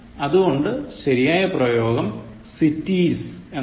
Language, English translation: Malayalam, So, hence, the correct form is cities